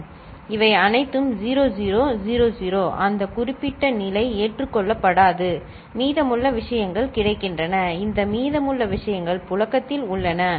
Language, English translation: Tamil, All these 0 0 0 0 that particular state is not acceptable, ok; rest of the things are getting, these rest of the things are getting circulated, ok